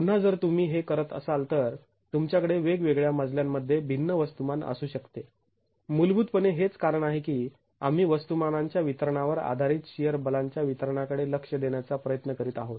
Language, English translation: Marathi, Again, if you were doing this, you can have different masses in different floors and that is fundamentally the reason why we are trying to look at the distribution of shear forces based on the distribution of masses